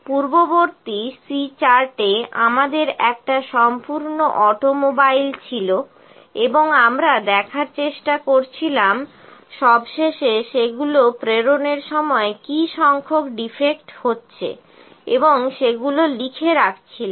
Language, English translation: Bengali, In the previous C chart we had a one full automobile and we were try to look at defects the total defects which are noted down at the end while dispatching that